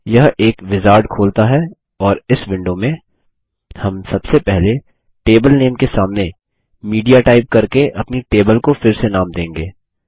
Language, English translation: Hindi, This opens a wizard and in this window, We will first rename our table by typing in Media against the table name